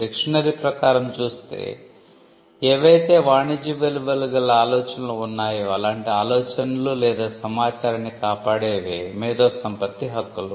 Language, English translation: Telugu, Intellectual property rights generally protect applications of idea and information that are of commercial value